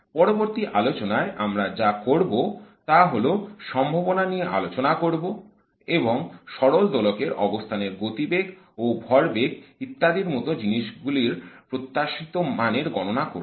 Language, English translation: Bengali, What we will do in the next lecture is to study the probability and also calculate some of the expectation values like the average value for the harmonic oscillator position and the momentum, etc